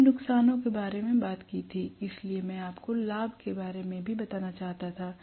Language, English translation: Hindi, We talked about disadvantage, so I wanted to tell you about the advantage as well